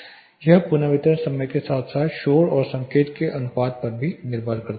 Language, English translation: Hindi, So, it is depending upon the reverberation time as well as the signal to noise ratio